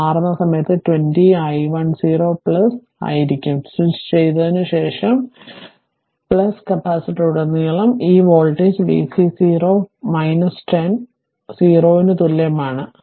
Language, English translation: Malayalam, So, it will be 20 i 1 0 plus that is just at the time of switching, just after switching plus this voltage at that time across the capacitor is v c 0 plus minus 10 equal to 0 right